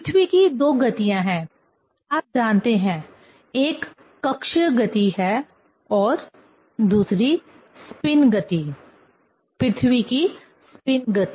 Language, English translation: Hindi, There are two motions of the earth, you know, one is orbital motion and another is spinning motion; spinning motion of the earth